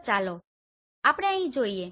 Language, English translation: Gujarati, So let us see here